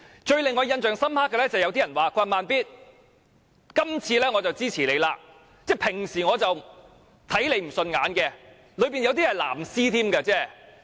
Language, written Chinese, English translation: Cantonese, 最令我印象深刻的是，有人說："'慢咇'，今次我支持你，即使我平常看你不順眼。, I was most impressed by the remark made by someone Slow Beat though I do not see eye to eye with you I support you this time